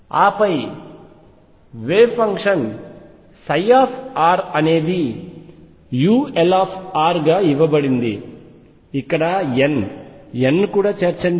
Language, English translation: Telugu, And then the wave function psi r is given as u l r let me also include n, n out here